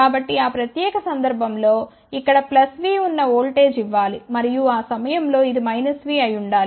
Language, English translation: Telugu, So, in that particular case we have to give a voltage here which is plus volt here and at that time this should be minus volt